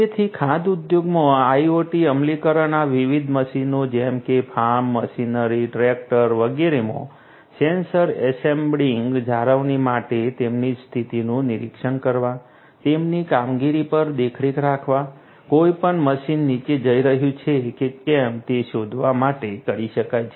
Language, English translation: Gujarati, So, in the food industry IoT implementations can be done for maintenance embedding sensors to these different machines such as farm machinery, tractors, etcetera, etcetera to monitor their condition, to monitor their performance, to detect whether any machine is going to go down in the future